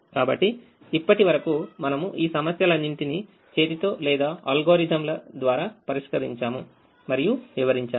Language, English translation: Telugu, so far we have solved all these problems by hand or by algorithms and explained we have explained the algorithms